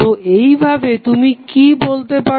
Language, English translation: Bengali, So, what you can say